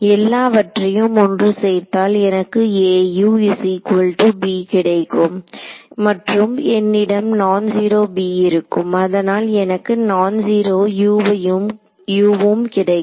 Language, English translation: Tamil, So, all of this put together is going to give me A U is equal to b and I have a non zero b therefore, I will get a non zero u also right